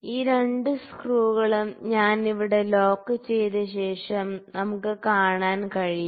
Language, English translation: Malayalam, So, we can see that after I have locked the both this screws here